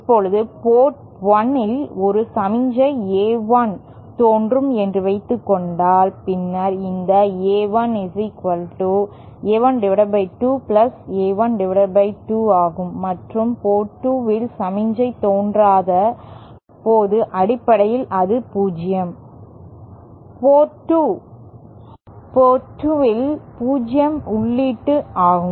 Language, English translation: Tamil, Now suppose there is a signal A1 appearing at port 1 then this A1 can be considered as the sum of 2 sub signals A1 upon 2 and + A1 upon 2 and at port 2, where no signal is appearing, that can be considered, basically that is0, 0 input at port 2